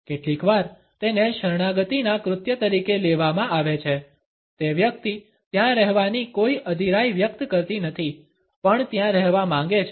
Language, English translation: Gujarati, Sometimes it is taken a as an act of submission, it does not convey any impatience the person would stay there wants to stay there also